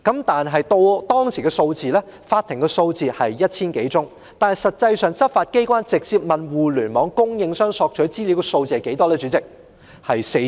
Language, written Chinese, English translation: Cantonese, 當時法庭接獲的相關申請是 1,000 多宗，但代理主席，執法機關實際上直接向互聯網供應商索取資料的個案有多少？, At that time the number of relevant applications received by the Court was some 1 000 . However Deputy Chairman what was the actual number of cases of law enforcement agencies directly seeking information from Internet service providers?